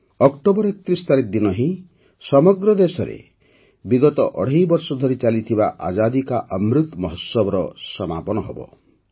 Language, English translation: Odia, The Azadi Ka Amrit Mahotsav, which has been going on for the last two and a half years across the country, will conclude on the 31st of October